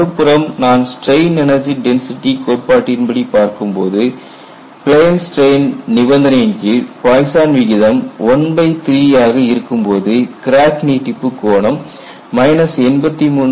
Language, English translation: Tamil, On the other hand, if you go for strain energy density criterion and if you consider Poisson ratio equal to 1 by 3 and if you take the plane strain situation, the crack extension angle is minus 83